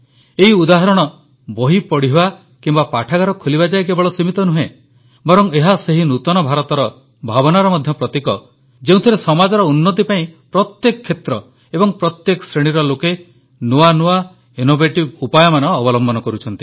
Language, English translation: Odia, These examples are not limited just to reading books or opening libraries, but are also symbolic of that spirit of the New India, where in every field, people of every stratum are adopting innovative ways for the development of the society